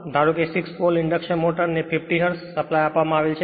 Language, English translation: Gujarati, Suppose a 6 pole induction motor is fed from 50 hertz supply